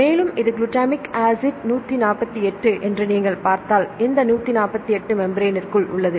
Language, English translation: Tamil, And, here if you see this is glutamic acid 148 this 148 is here inside the membrane